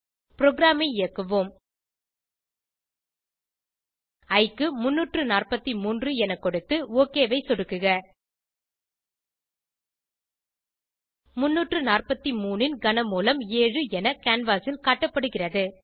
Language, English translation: Tamil, Lets Run the program Lets enter 343 for i and click OK cube root of 343 = 7 is be displayed on canvas